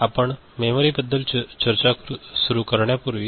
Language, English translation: Marathi, So, before we begin with memory